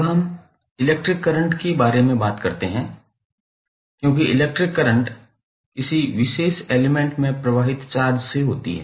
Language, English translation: Hindi, Now, let us talk about the electric current, because electric current is derived from the charge which are flowing in a particular element